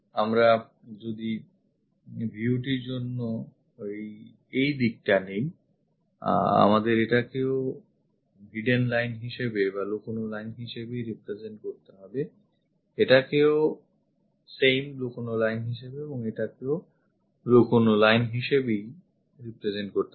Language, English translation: Bengali, If we are picking this direction for the view, we have to represent this one also hidden, this one also hidden and also this one also hidden